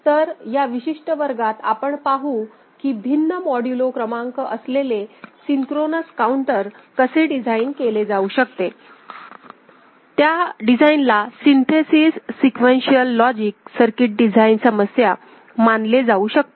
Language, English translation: Marathi, So, in this particular class, we shall see how synchronous counter with different modulo number can be designed and that design can be considered as a synthesis sequential logic circuit design problem